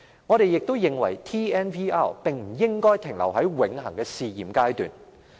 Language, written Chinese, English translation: Cantonese, 我們認為 TNVR 不應永遠停留在試驗階段。, In our opinion TNVR should not forever remain a pilot scheme